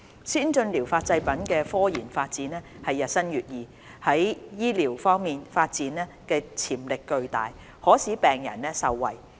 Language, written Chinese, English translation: Cantonese, 先進療法製品的科研發展日新月異，在醫療方面的發展潛力巨大，可使病人受惠。, The rapid scientific advancement in the research and development of ATPs offers great medical potential for benefiting patients